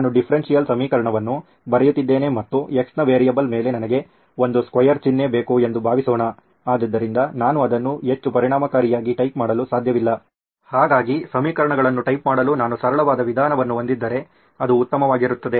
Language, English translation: Kannada, Suppose I am writing a differential equation and I need a square sign over the variable x, so I cannot type it very efficiently, so if I had a simpler method to type equations that would be great